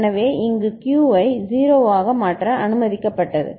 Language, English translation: Tamil, So, here it was allowed to change Q as 0